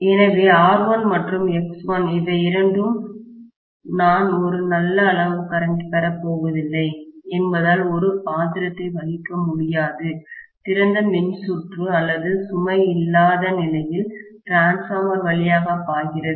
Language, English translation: Tamil, So, R1 and X1, both of them hardly play a role because of the fact that I am not going to have a good amount of current flowing through the transformer under open circuit or no load condition, right